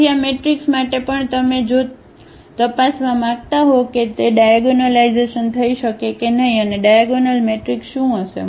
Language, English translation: Gujarati, So, for this matrix also if you want to check whether it can be diagonalized or not and what will be the diagonal matrix